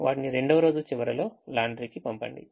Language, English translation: Telugu, send it to laundry at the end of the second day